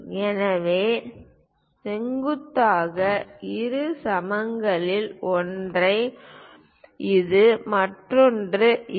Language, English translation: Tamil, So, one of the perpendicular bisector is this one, other one is this